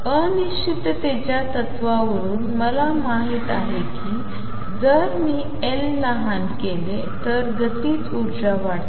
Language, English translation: Marathi, From uncertainty principle I know that if I make L smaller the kinetic energy goes up